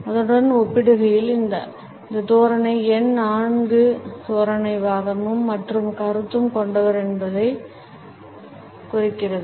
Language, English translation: Tamil, In comparison to that the next posture which is known as a numerical 4 posture suggests that the person is argumentative and opinionated